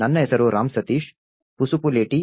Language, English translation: Kannada, My name is Ram Sateesh Pasupuleti